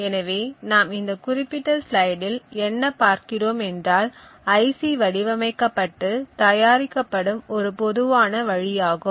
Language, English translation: Tamil, So, what we see in this particular slide is a typical way IC is designed and manufactured